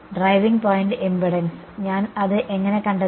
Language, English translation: Malayalam, Driving point impedance, how I find that